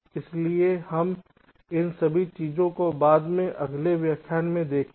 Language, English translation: Hindi, so we shall see all this things later in the next lectures